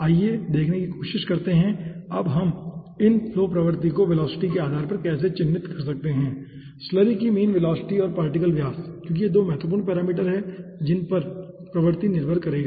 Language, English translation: Hindi, let us try to see now how we can characterized this flow regimes depending on the velocity mean velocity of the slurry and the particle diameter, because these are 2 important parameters on which the regime will be depending